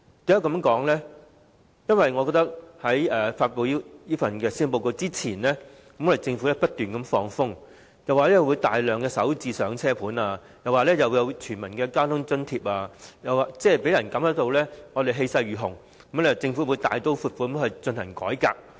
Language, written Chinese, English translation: Cantonese, 我覺得政府在發布施政報告之前不斷"放風"，說會推出大量"港人首置上車盤"、免入息審查的公共交通費用補貼計劃，讓人感到政府氣勢如虹，會大刀闊斧地進行改革。, I think that the Government has been hinting before the presentation of the Policy Address that the Starter Homes will be rolled out in large numbers and the non - means - tested Public Transport Fare Subsidy Scheme will be introduced so as to give people the impression that drastic and sweeping reforms will be carried out vigorously